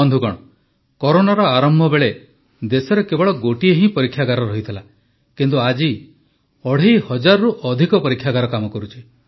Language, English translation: Odia, Friends, at the beginning of Corona, there was only one testing lab in the country, but today more than two and a half thousand labs are in operation